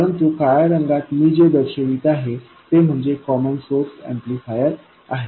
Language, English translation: Marathi, But the stuff that I have shown in black that is the common source amplifier